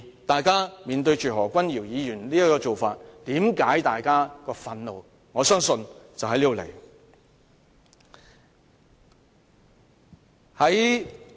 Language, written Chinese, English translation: Cantonese, 大家看見何君堯議員的表現之所以感到憤怒，我相信就是出於這原因。, I believe this is the precise reason why those who saw Dr Junius HOs conduct were agonized